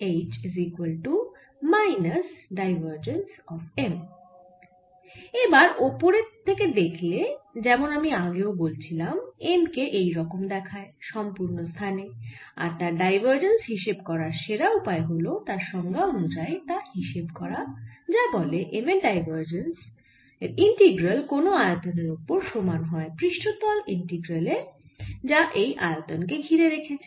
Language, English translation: Bengali, now, if i look at it from the top, as i said earlier, this is how m looks all over the place and best way to find divergence is using its definition, which says that divergence of m integrated over a volume is going to be equal to the surface integral over the surface of this volume